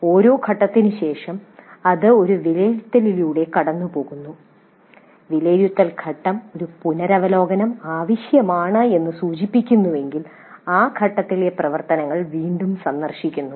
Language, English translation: Malayalam, After every phase it goes through an evaluate and if the evaluate phase indicates that a revision is necessary, then the activities in that phase are revisited